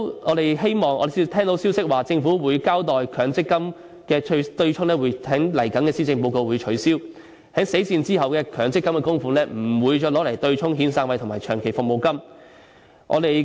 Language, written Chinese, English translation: Cantonese, 我們聽到消息說政府會交代強積金對沖的問題，在未來的施政報告內提出取消，在死線後的強積金供款不會再用作對沖遣散費和長期服務金。, We have got the message that the Government will give an account of the MPF offsetting arrangement . In the coming Policy Address it will propose to abolish this arrangement and the MPF benefits accrued after the deadline will not be used for offsetting the severance payment or long service payment payable to the employee